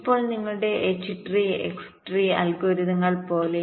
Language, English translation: Malayalam, now, just like ah, your h tree and x tree algorithms